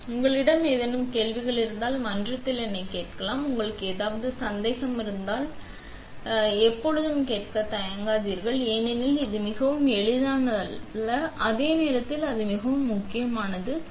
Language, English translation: Tamil, So, if you have any questions feel free to ask me in the in the forum; if you have any doubts, you know, always feel free to ask do not hesitate because this is not so easy to understand and at the same time it is extremely important